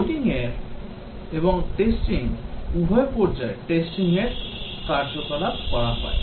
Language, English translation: Bengali, Both coding phase and testing phase, testing activities are undertaken